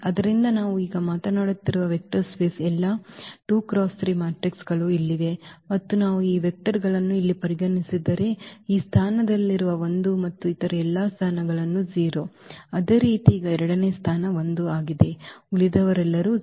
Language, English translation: Kannada, So, here the vector space of all 2 by 3 matrices we are talking about and if we consider these vectors here, the 1 at this position and all other positions are 0; similarly now at the second position is 1 all others are 0